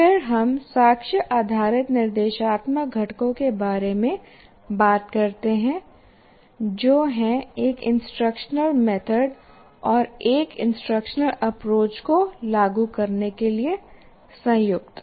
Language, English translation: Hindi, And then we talk about the evidence based instructional components which are combined to implement an instructional method and an instructional approach